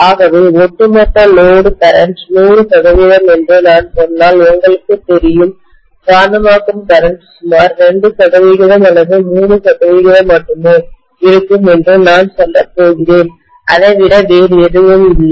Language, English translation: Tamil, So the overall load current will be you know if I say that is 100 percent, I am going to say that the magnetizing current will be only about 2 percent or 3 percent, nothing more than that